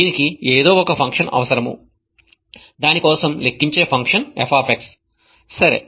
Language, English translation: Telugu, It needs somehow a function that calculates for it the value f of x